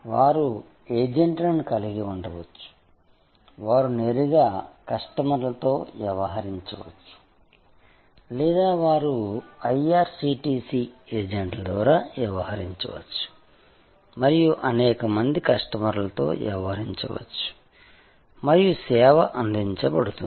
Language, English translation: Telugu, They can have agents, either they can deal directly with customers or they can deal through IRCTC agents and deal with number of customers and the service will be delivered